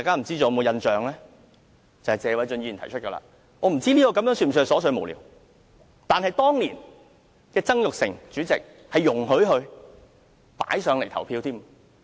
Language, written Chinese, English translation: Cantonese, 這是謝偉俊議員提出的修正案，我不知道是否屬於瑣屑無聊，但當年曾鈺成前主席容許他提出並進行表決。, It was a CSA proposed by Mr Paul TSE . I am not sure if it was frivolous but Jasper TSANG the former President ruled that it was admissible and put it to vote